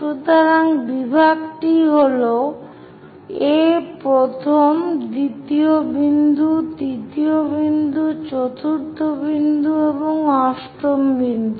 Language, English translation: Bengali, So, the division is this is A first, second point, third point, fourth point, and eighth point